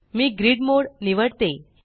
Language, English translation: Marathi, Let me choose grid mode